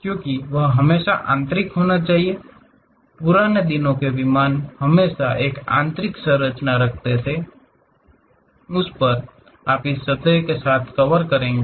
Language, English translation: Hindi, Because, there always be internal, the olden days aircraft always be having internal structure; on that you will be covering it with surfaces